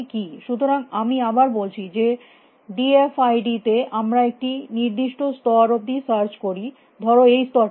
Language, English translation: Bengali, So, let me repeat in d f i d, we search up to some level let us say this level